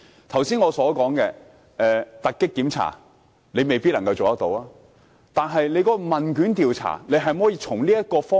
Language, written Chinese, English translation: Cantonese, 剛才我所說的突擊檢查，當局未必做得到，但是否能在問卷調查這方面多做一點？, Although the authorities might not be able to conduct raids as suggested by me earlier can efforts be stepped up in conducting questionnaire surveys?